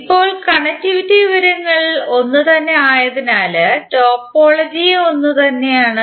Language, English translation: Malayalam, Now since connectivity information is same it means that topology is same